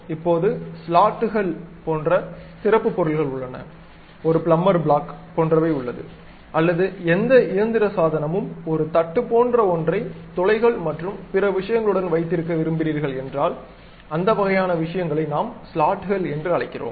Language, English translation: Tamil, Now, there are specialized objects like slots, something like you have a plumber blocks, maybe any mechanical device where you want to keep something like a plate with holes and other things that kind of things what we call slots